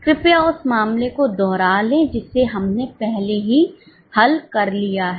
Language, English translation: Hindi, Please revise the case which we have already solved